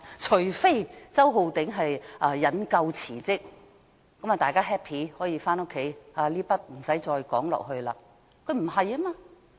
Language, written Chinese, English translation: Cantonese, 除非周浩鼎議員引咎辭職，這樣便大家 happy， 不用再討論下去。, If Mr Holden CHOW takes the blame and resigns we will all be happy and we do not need to discuss the matter anymore